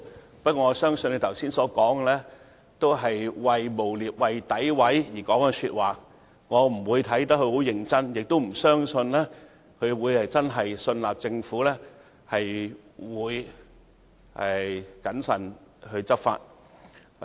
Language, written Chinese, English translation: Cantonese, 然而，我相信他剛才所說的話，只是為了詆毀我們而說，我對此不會太認真，亦不相信他真的信納政府會謹慎執法。, But I believe he made such remarks just now only to smear us . I will neither take them seriously nor believe that he actually trust the Government will enforce the law in a prudent way